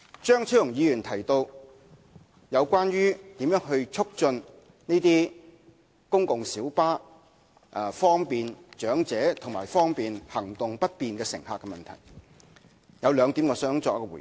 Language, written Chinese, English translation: Cantonese, 張超雄議員提到應如何推動公共小巴方便長者和行動不便乘客使用的問題，我想就兩點作出回應。, Dr Fernando CHEUNG has raised the issue regarding how to enhance the accessibility of PLBs for the elderly and passengers with impaired mobility . I have two points to make in response